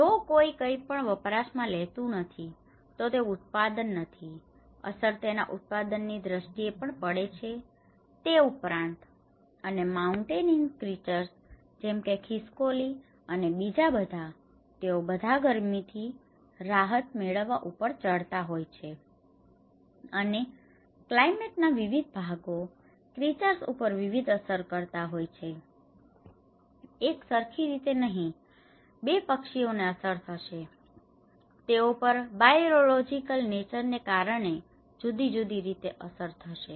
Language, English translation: Gujarati, If someone is not consuming something, the production it will have an impact on the production aspect as well, and the mountain creatures like squirrels and all, they are all climbing to escape the heat, and different parts of the climate have affect the creatures differently, it is not the same way, a 2 birds will be affected, they affect in a different way because of the nature of the biological nature